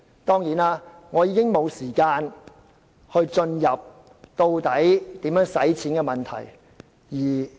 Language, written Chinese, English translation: Cantonese, 當然，我已沒有時間闡述如何花錢的問題。, Certainly I have no time to explain how the money should be spent